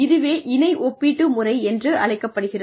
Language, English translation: Tamil, This is called paired comparison method